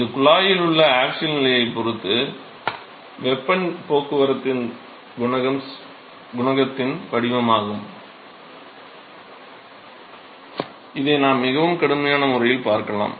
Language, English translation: Tamil, So, that is the profile of heat transport coefficient with respect to the axial position in the tube, we can see this in a much more rigorous way